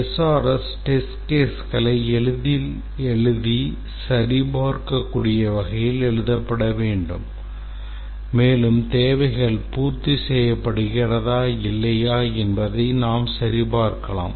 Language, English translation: Tamil, The SRS document should be written such that it is verifiable, that is, should be easily we can write test cases and check whether it can be, we can clearly say whether the requirements is satisfied or not